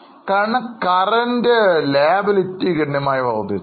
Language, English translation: Malayalam, Because their current liabilities have increased substantially